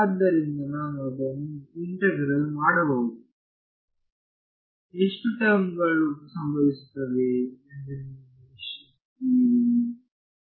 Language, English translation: Kannada, So, I can integrate it, how many terms do you expect will happen